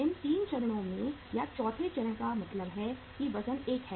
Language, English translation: Hindi, Means at these 3 stages or even the fourth stage that the weight is 1